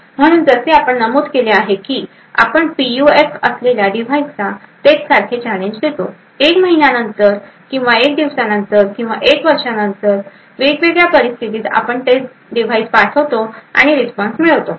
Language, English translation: Marathi, So, as we mentioned, we provide the same challenge to the device which is having the PUF, obtain the response and in a different condition maybe after a day or after a month or after a year, we send exactly the same device and obtain the response